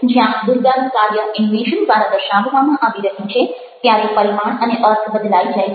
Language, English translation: Gujarati, where may be the action of durga is being shown through the animation, the dimension and the meaning changes